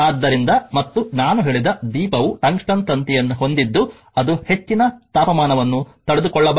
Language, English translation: Kannada, So, and the lamp actually I told you it contains tungsten wire it can withstand high temperature